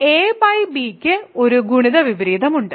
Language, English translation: Malayalam, So, a by b has a multiplicative inverse